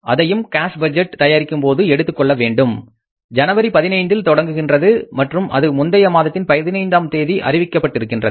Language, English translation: Tamil, We have to take that into account while preparing the cash budget beginning January 15 and are declared on the 15th of the previous month